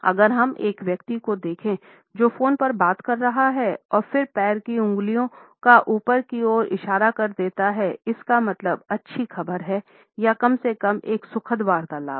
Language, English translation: Hindi, If we happen to look at a person who is talking on a phone and then the toes are pointing upward, we can almost be sure that it is a good news or an enjoyable conversation at least